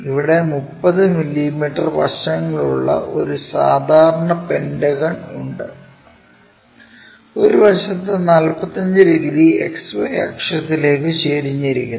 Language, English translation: Malayalam, Here, there is a regular pentagon of 30 mm sides with one side is 45 degrees inclined to xy axis